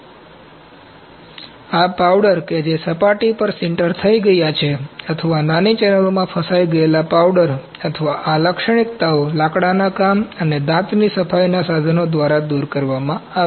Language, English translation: Gujarati, So, this powders which have sintered to the surface or powder entrapped in small channels or features these are removed by woodworking and dental cleaning tools